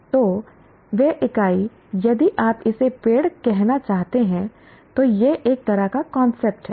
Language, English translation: Hindi, So that entity if you want to call it, the tree is a kind of a concept